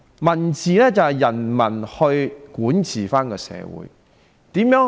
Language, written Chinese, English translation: Cantonese, "民治"是指由人民管治社會。, Under a government of the people society is governed by the people